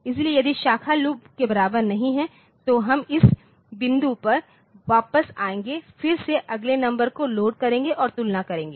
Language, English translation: Hindi, So, if branch are not equal to loop so, we will come back to this point again load the next number and compare